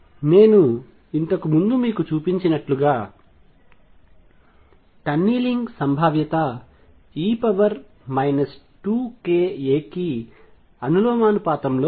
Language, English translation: Telugu, Now as I showed you earlier that the tunneling probability is proportional to minus 2 k a